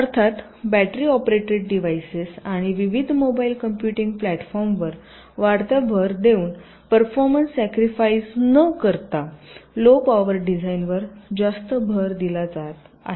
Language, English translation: Marathi, and, of course, with the ah, with the increasing emphasis on battery operated devices and radius mobile computing platforms, so the greater and greater emphasis have been laid on low power design without sacrificing performance